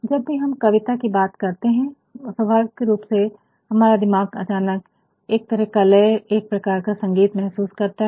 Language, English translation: Hindi, Whenever we talk about poetry naturally in our mind suddenly we feel a sort of rhythm a sort of music